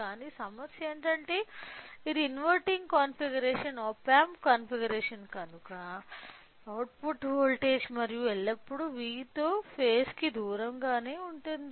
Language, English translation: Telugu, But, the problem or in this case what is the problem is that since it is an inverting configuration op amp configuration the output voltage and will always be out of phase with V in